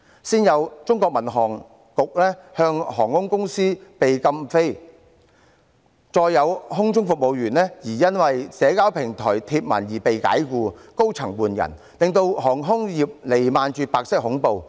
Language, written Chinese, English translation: Cantonese, 先有航空公司被中國民航局禁飛，再有空中服務員因為在社交平台貼文而被解僱，高層換人，令航空業彌漫着白色恐怖。, First an airline was grounded by the Civil Aviation Administration of China . Then a number of flight attendants were fired for posting on social media platforms and a senior manager was replaced reigning over the aviation industry with white terror